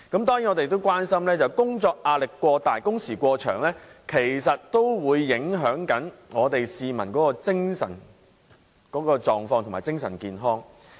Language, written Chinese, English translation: Cantonese, 當然，我們關心工作壓力過大及工時過長影響市民的精神狀況和健康。, We are surely concerned about the impact of excessive work pressure and long working hours on peoples mental and physical health